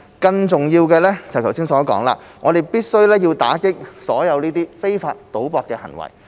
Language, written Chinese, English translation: Cantonese, 更重要的是，正如我剛才所說，我們必須打擊所有非法賭博的行為。, More importantly as I said earlier we must combat all illegal gambling activities